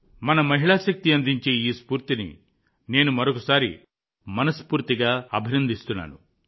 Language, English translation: Telugu, I once again appreciate this spirit of our woman power, from the core of my heart